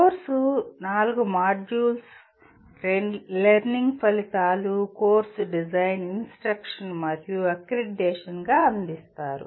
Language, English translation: Telugu, The course is offered as 4 modules, learning outcomes, course design, instruction, and accreditation